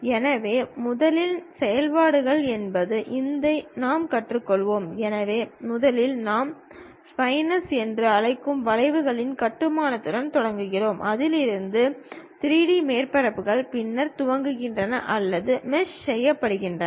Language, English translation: Tamil, So, first begins with construction of curves which we call splines, from which 3D surfaces then swept or meshed through